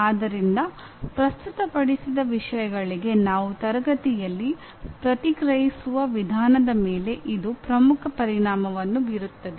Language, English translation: Kannada, So this has a major impact on the way we react in a classroom to the things that are presented